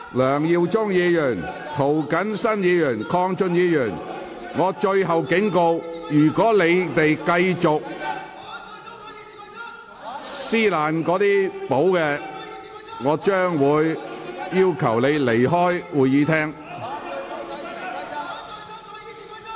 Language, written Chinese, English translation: Cantonese, 梁耀忠議員、涂謹申議員、鄺俊宇議員，我最後警告，如果你們繼續撕毀《議事規則》，我會命令你們離開會議廳。, Mr LEUNG Yiu - chung Mr James TO Mr KWONG Chun - yu this is my last warning . If you continue to tear up copies of the Rules of Procedure I will order you to leave the Chamber